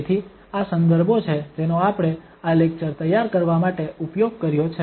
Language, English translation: Gujarati, So, these are the references which we have used to prepare this lecture